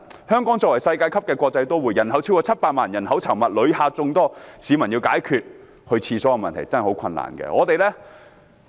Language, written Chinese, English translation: Cantonese, 香港作為世界級的國際都會，人口超過700萬，人口稠密，旅客眾多，市民要解決如廁的問題真的十分困難。, As an international metropolis Hong Kong has a population of over 7 million . It is densely populated and visited by lots of tourists . But the public really have difficulties in patronizing public toilets